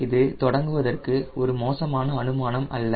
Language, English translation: Tamil, that's not a bad choice to start with